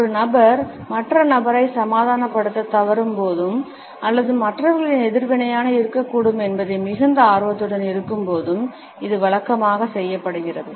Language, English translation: Tamil, It is usually done by a person when he or she fails to convince the other person or is too anxious about what is likely to be the reaction of the other people